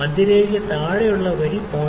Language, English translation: Malayalam, The line below the central line is 0